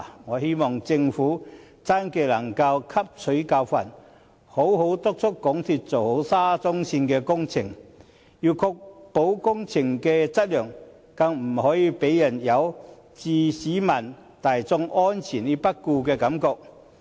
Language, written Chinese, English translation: Cantonese, 我希望政府真的能汲取教訓，好好督促港鐵公司做好沙中線工程，要確保工程的質量，更不可以令人有置市民大眾安全於不顧的感覺。, I hope that the Government can truly draw a lesson and seriously urge MTRCL to properly undertake the SCL project ensure project quality and strive to avoid giving people the impression that it disregards public safety